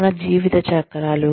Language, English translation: Telugu, Our life cycles